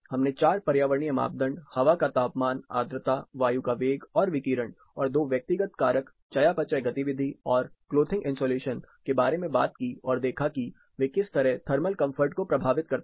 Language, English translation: Hindi, We talked about four environmental parameters; air temperature, humidity, air velocity and radiation; and two personal factors; metabolic activity and clothing insulation; and how they influence thermal comfort